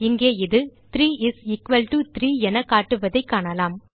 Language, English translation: Tamil, Here we see it is showing 3 is equal to 3